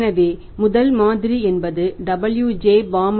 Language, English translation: Tamil, This model is given to us by W